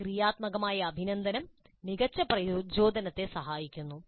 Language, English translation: Malayalam, A positive appreciation does help better motivation